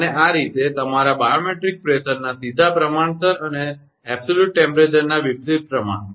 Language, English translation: Gujarati, And thus, directly proportional to a your barometric pressure and inversely proportional to the absolute temperature